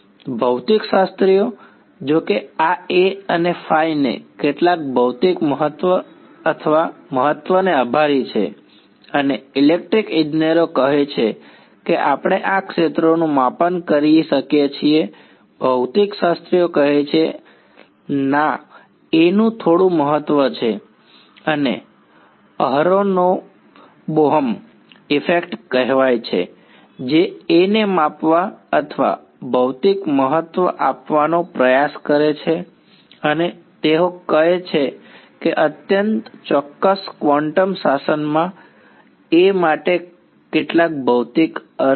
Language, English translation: Gujarati, Physicists; however, attribute some physical importance or significance to this A and phi, electrical engineers say all we can measure of our fields physicists say that no there is some significance to A and there is something call the aronov Bohm effect which tries to measure or give a physical significance to A and they say that in some highly specific quantum regime there is some physical meaning for A